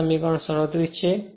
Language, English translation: Gujarati, So, this is equation 35